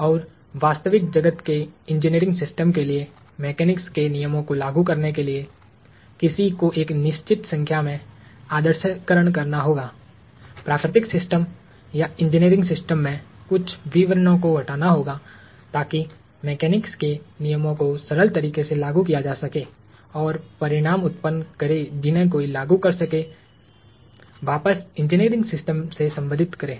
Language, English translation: Hindi, And in order to apply the laws of mechanics to real world engineering systems, one would have to make a certain number of idealizations, remove certain details in the natural system or the engineering system in order to apply the laws of mechanics in a simplistic fashion in order to apply the laws of mechanics and generate results that one could apply, relate back to the engineering system